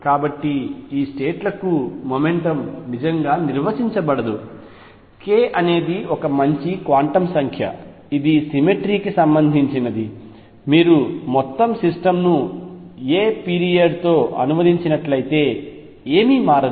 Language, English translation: Telugu, So, momentum cannot really be defined for these states none the less k is a good quantum number which is related to the cemetery that if you translate the whole system by the period a nothing changes